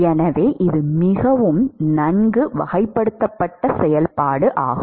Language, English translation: Tamil, So, it is a fairly well characterized function